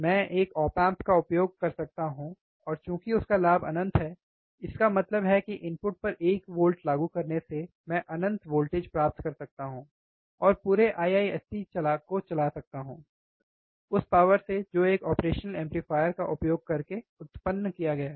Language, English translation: Hindi, I can use one op amp, one single op amp I see, and since his gain is infinite; that means, applying one volt at the input, I can get infinite voltage, and whole IISC I can run the power can be generated using one single operational amplifier